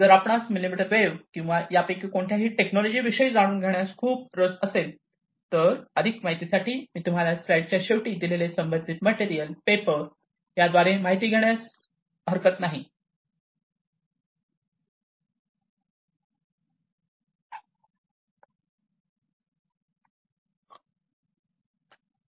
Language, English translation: Marathi, So, you know, in case you are very much interested to know about millimetre wave or any of these technologies, in much more detail, I would encourage you to go through the corresponding material, the paper, the source, that is given at the bottom of the slide